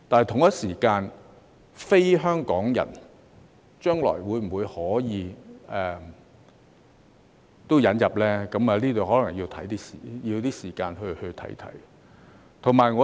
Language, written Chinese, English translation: Cantonese, 至於非香港人將來可否一併引入，這方面可能需要一些時間再作考慮。, As to whether non - HKPRs can be admitted in the future it may require more time for consideration